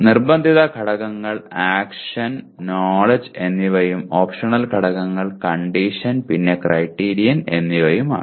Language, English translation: Malayalam, The compulsory elements are action and knowledge and optional elements are condition and criteria